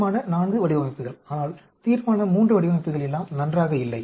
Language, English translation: Tamil, Resolution IV designs are, but Resolution III designs are not good at all